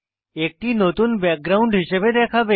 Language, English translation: Bengali, It will appear as your new background